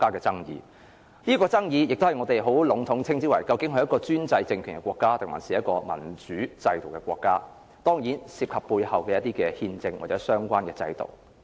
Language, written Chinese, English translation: Cantonese, 在有關爭議中，我們很籠統地談論專制政權和民主制度，當然這涉及背後的憲政或相關的制度。, In general the controversy lies in whether the states are under autocratic or democratic rule and the constitutional regimes or relevant systems which such rule bases